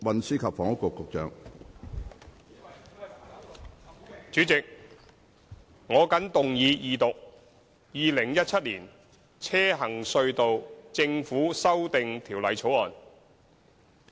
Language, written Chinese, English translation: Cantonese, 主席，我謹動議二讀《2017年行車隧道條例草案》。, President I move the Second Reading of the Road Tunnels Government Amendment Bill 2017 the Bill